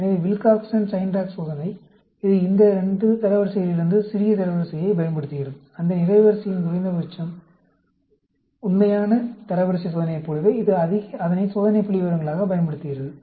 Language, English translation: Tamil, So, the Wilcoxon Signed Rank Test, it uses the smaller rank from these 2 ranks, minimum of that row; just like the original rank test, it uses that as the test statistics